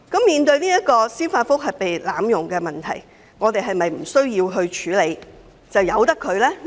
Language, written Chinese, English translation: Cantonese, 面對司法覆核制度被濫用的問題，是否無需處理，可任由其發生？, Is it not necessary to address the problem of abuse of the judicial review system which we are now facing and that it should be allowed to happen?